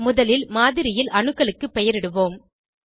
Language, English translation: Tamil, First let us label the atoms in the model